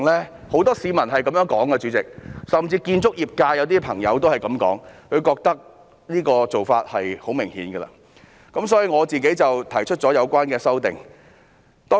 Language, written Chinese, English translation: Cantonese, 主席，很多市民都這樣說的，甚至有些建築業界的朋友亦這樣說，他們認為這個做法是很明顯的，所以我提出了相關修正案。, Chairman a great many members of the public have said so and even some friends in the construction industry have said so as they consider such motive blatantly obvious . That is why I have proposed the relevant amendment